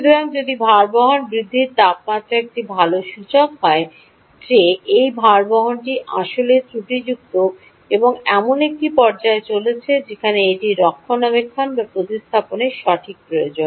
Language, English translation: Bengali, so if the temperature of the bearing increases is a good indicator that this bearing is indeed faulty or its coming to a stage where it requires maintenance or replacement